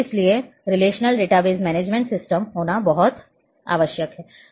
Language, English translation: Hindi, So, there we it is very much required to have a relational database management system